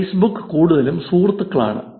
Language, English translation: Malayalam, Facebook is mostly of friends